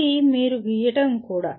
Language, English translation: Telugu, This is also you are drawing